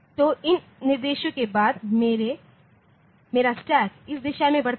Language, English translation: Hindi, So, may be after my stack grows in these directions